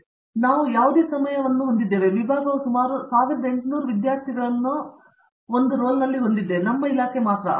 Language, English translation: Kannada, So, we have about any given time, the department probably has about 1800 students on roll, our department alone